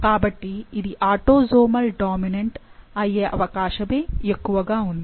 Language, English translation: Telugu, So, it seems that very likely that this is an autosomal dominant